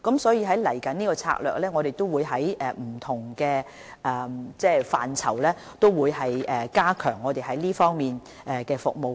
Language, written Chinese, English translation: Cantonese, 所以，我們未來的策略是在不同範疇加強這方面的服務。, Therefore our strategy in the future is to strengthen the services in this regard in various settings